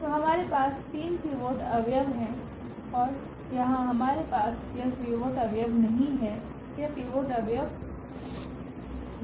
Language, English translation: Hindi, So, we have the three pivot elements and here we do not have this pivot element this is not the pivot element